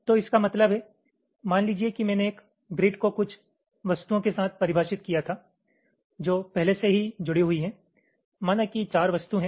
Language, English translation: Hindi, so what it means is that suppose i had defined a grid with some objects already attached to it